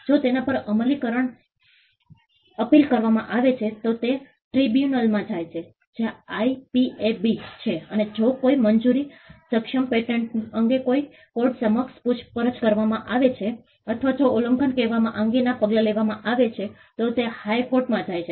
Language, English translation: Gujarati, If there are appeals over it, it goes to the tribunal which is the IPAB and if a granted patent is questioned before a court or if there is an action with regard to enforcement say infringement, it goes to the High Courts